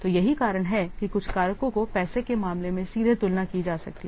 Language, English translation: Hindi, So, that's why some factors can be directly compared in terms of money